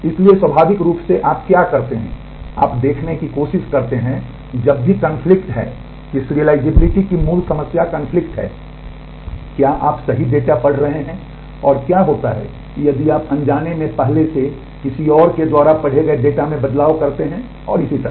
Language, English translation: Hindi, So, naturally what you do you try to see whenever we have conflict, the basic problem of serializability is conflict that is what are you are you reading the right data and, what happens if you inadvertently make changes in a data that has already been read by someone else and so on